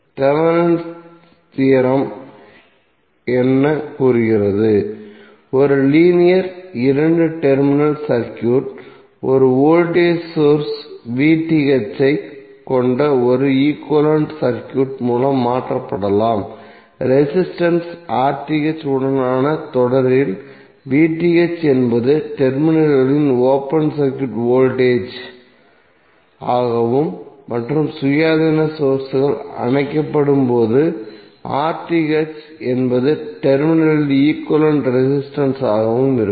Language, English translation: Tamil, So what does Thevenin’s theorem says: A linear two terminal circuit can be replaced by an equivalent circuit consisting of a voltage source VTh In series with resistor RTh where VTh is the open circuit voltage at the terminals and RTh is the equivalent resistance at the terminals when the independent sources are turned off